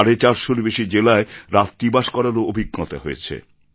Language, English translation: Bengali, In more than four hundred & fifty districts, I had a night stay too